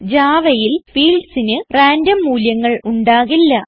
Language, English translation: Malayalam, In Java, the fields cannot have random values